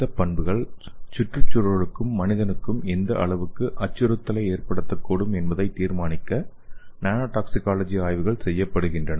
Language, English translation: Tamil, So here this nano toxicology studies are intended to determine whether and what extent these properties may pose a threat to the environment and to the human beings okay